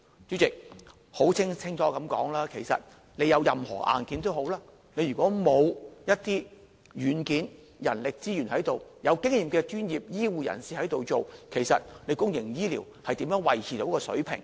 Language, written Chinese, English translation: Cantonese, 主席，說清楚一些，即使有任何硬件，如果欠缺人力資源的軟件，欠缺有經驗的專業醫護人士，其實公營醫療又如何能夠維持水平呢？, President let me explain it further . Even though we have all the hardware how can our public health care system maintain its service standard if we do not have the software of adequate manpower and experienced health care professionals?